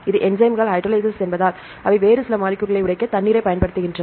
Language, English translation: Tamil, These enzymes are hydrolase because they use water to break up some other molecules